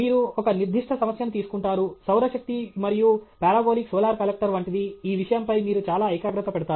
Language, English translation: Telugu, You take a particular problem – solar energy and like something parabolic solar collector this thing you want to concentrate, concentrate and concentrate okay